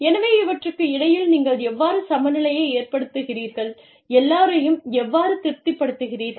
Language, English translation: Tamil, So, how do you strike a balance, between these, and how do you keep, everybody satisfied